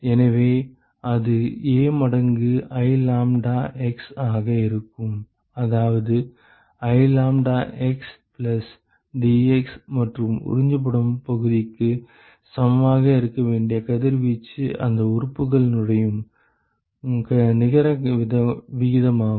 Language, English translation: Tamil, So, that will be A times I lambdax, that is the net rate at which the radiation is entering that element that should be equal to area into I lambda x plus dx plus whatever is absorbed